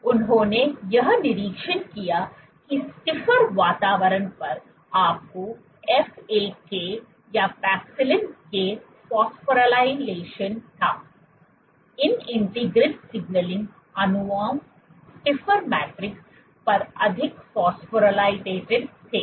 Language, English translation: Hindi, So, what they observed was on stiffer environments you had phosphorylation of FAK or paxillin, these integrin signaling molecules were much more phosphorylated on stiffer matrices